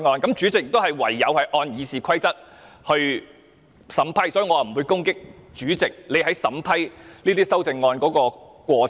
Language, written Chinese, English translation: Cantonese, 主席唯有按照《議事規則》來審批，所以我不會攻擊主席審批修正案的過程。, President can only deal with the proposed amendments in accordance with the Rules of Procedure and so I will not criticize the way the President has dealt with the proposed amendments